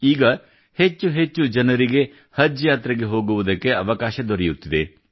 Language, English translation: Kannada, Now, more and more people are getting the chance to go for 'Haj'